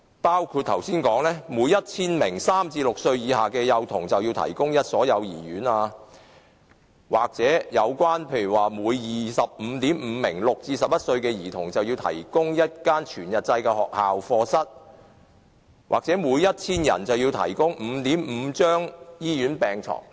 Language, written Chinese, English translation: Cantonese, 相關標準包括每 1,000 名3至6歲以下的幼童要有1所幼兒園，每 25.5 名6至11歲的兒童要有1間全日制學校課室，每 1,000 人要有 5.5 張醫院病床。, The relevant standards include 1 kindergarten for every 1 000 children aged 3 to 6 1 full - time school classroom for every 25.5 children aged 6 to 11 and 5.5 hospital beds for every 1 000 people